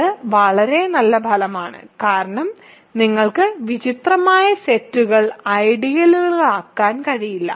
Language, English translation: Malayalam, So, this is a very nice result right because you cannot have strange sets becoming ideals